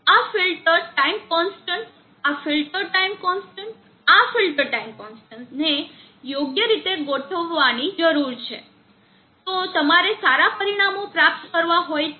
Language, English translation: Gujarati, This filter time constant, this filter time constant, this filter time constant need to be properly tuned, if you have to get good results